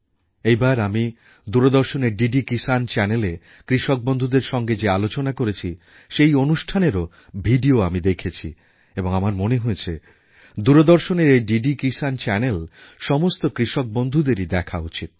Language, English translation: Bengali, This time, I requisitioned and viewed videos of discussions with our farmers on DD Kisan Channel of Doordarshan and I feel that each farmer should get connected to this DD Kisan Channel of Doordarshan, view it and adopt those practices in his/ her own farm